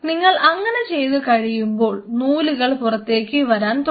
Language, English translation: Malayalam, Once you do like that that is how these threads are going to come out